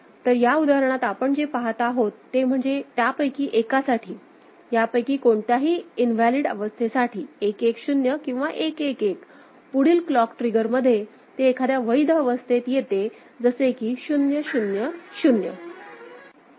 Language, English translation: Marathi, So, in this example what we see is that for one of for any of these invalid states, it goes 1 1 0 or 1 1 1 in the next clock trigger it comes to one of the valid state which is the 0 0 0